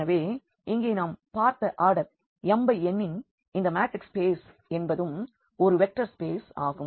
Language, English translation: Tamil, So, here what we have seen that this matrix spaces of order this m cross n is also a vector space